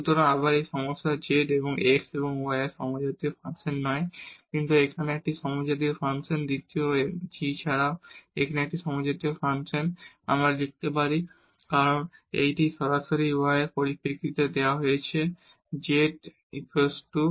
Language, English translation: Bengali, So, again the same problem the z is not a homogeneous function of x and y, but here this is a homogeneous function and the second g is also a homogeneous function because we can write down as it is a directly given in terms of y over x